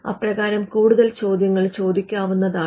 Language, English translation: Malayalam, The further questions are asked